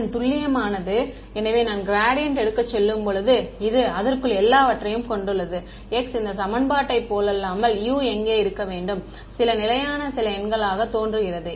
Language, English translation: Tamil, Its exact, so when I go to take the gradient of this, it has everything inside it there is a x where it should be unlike this equation where U appears to be just some number some constant right